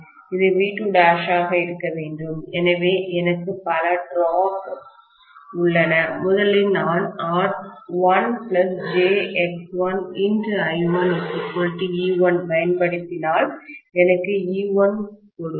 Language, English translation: Tamil, This should be V2 dash, so I have several drops, first I am applying V1 minus R1 plus j X1 multiplied by I1 will give me E1